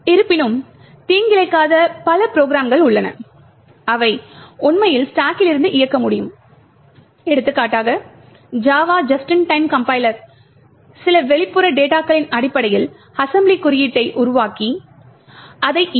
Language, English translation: Tamil, However, there are several non malicious programs which actually would need to execute from the stack for example the JAVA just in time compiler would construct assembly code based on some external data and then execute it